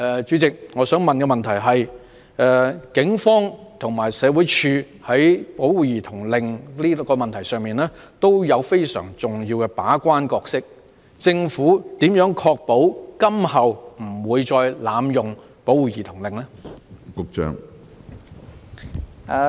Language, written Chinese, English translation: Cantonese, 主席，我想問政府，警方與社會福利署在引用保護兒童令的問題上均有非常重要的把關角色，當局如何確保今後不會再濫用保護兒童令？, President I would like to ask the Government Given that both the Police and SWD play a very important gatekeeping role in the use of child protection orders how will the authorities ensure that there will not be any abuse use of child protection orders in the future?